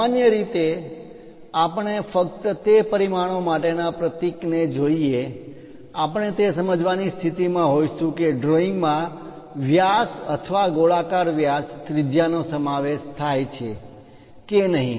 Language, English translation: Gujarati, Usually we go with symbols for any kind of dimensioning by just looking at that symbol, we will be in a position to understand whether the drawing consist of diameter or spherical diameter radius and so, on